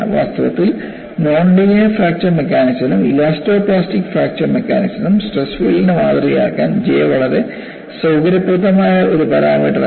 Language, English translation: Malayalam, And in fact, for non linear fracture mechanics as well as elasto plastic fracture mechanics, J was a very convenient parameter to model the stress field